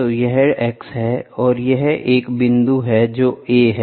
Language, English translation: Hindi, So, this is x and this is a point which happens at a